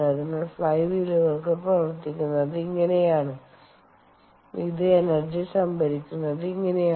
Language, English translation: Malayalam, ok, so this is how fly wheels operate and this is how it stores energy